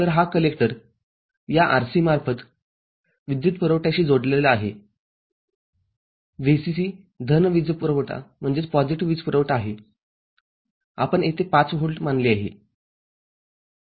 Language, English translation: Marathi, So, this collector is connected through this RC to power supply, the VCC a positive power supply, we considered 5 volt here